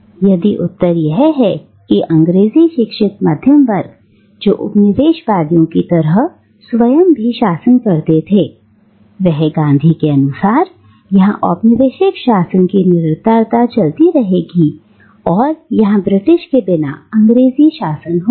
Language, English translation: Hindi, And, if the answer is that the English educated middle class, who fashion themselves after the colonisers, they will take over, according to Gandhi, it will just be the English rule, the continuation of the British colonial rule without the Englishman, right